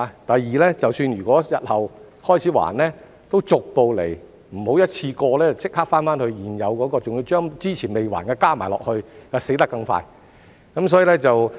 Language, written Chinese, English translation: Cantonese, 第二，即使日後開始償還，也要逐步來，不要一次過立即還清現有貸款，還要把之前未還的加上去，這樣會"死得更快"。, Secondly even when repayments begin in future they should be gradual . It is undesirable to require a one - off repayment of the existing loan as well as even the previously outstanding loans because this will speed up the downward spiral